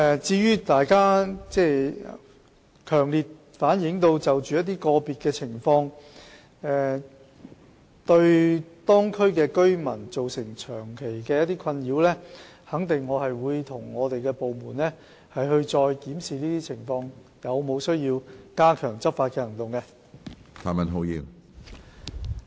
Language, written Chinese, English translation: Cantonese, 至於大家強烈反映一些個別情況，對當區居民造成長期的困擾，我肯定會與部門再檢視這些情況，看看有否需要加強執法行動。, As regards some individual cases which as keenly relayed by Members have caused nuisances to the local residents for a long period I will certainly review these cases with the department and see if it is necessary to step up enforcement actions